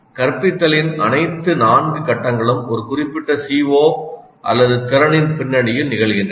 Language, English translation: Tamil, All the four phases of instruction occur in the context of one specific CO or competency